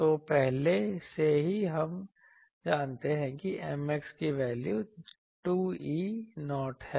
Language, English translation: Hindi, So, and M x already we know a M x value is 2 E 0